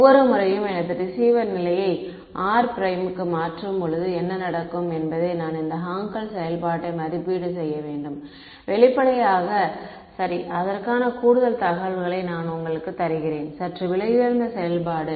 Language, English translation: Tamil, What will happen at every time I change my receiver position r prime I have to evaluate this Hankel function; obviously, right and I am giving you further information that that is a slightly expensive operation